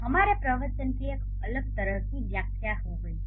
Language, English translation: Hindi, So, our discourse has a different kind of interpretation